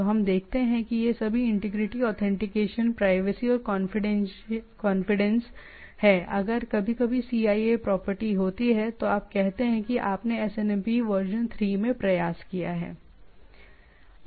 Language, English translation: Hindi, So what we see that all these integrity authentication privacy or confidence if there are CIA property sometimes you say are tried to has been tried to has been attempted in a SNMP version 3